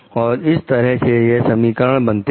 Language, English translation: Hindi, That is how that equation is done